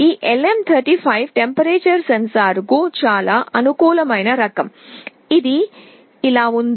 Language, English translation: Telugu, This LM35 is a very convenient kind of a temperature sensor; it looks like this